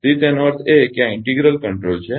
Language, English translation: Gujarati, So, that means, integral control is this